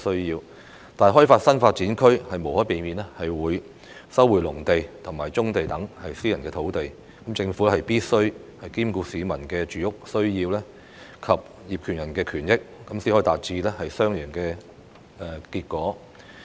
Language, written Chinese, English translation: Cantonese, 然而，開發新發展區無可避免會收回農地及棕地等私人土地，政府必需兼顧市民的住屋需要及業權人的權益，才可以達致雙贏的結果。, Yet the development of NDAs will inevitably lead to the resumption of private land such as agricultural land and brownfields . The Government must take into account both the housing needs of the public and the rights of land owners in order to achieve a win - win result